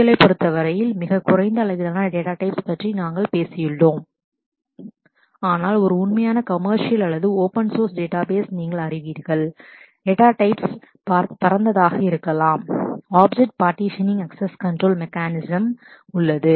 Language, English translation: Tamil, We have talked about a very limited set of data types in terms of SQL, but in an actual commercial or even you know open source database, the data types could be wider than that what kind of other objects partitioning access control mechanism